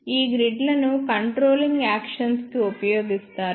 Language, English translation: Telugu, These grids are used for controlling actions